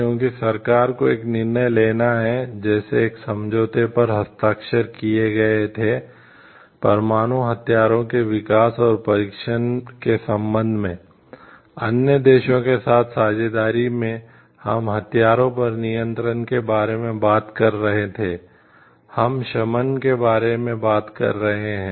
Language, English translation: Hindi, Because, government has to take a decision alliances government partnership with other countries in the form of any treaties signed, with respect to nuclear weapons developments and testing, we were talking of arms control, we are talking of disarmament